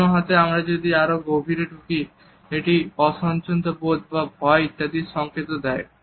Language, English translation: Bengali, On the other hand if we move further down then it also offers a signal of discomfort or fear etcetera